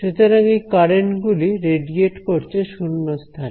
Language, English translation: Bengali, So, this is setting these currents are setting radiating in empty space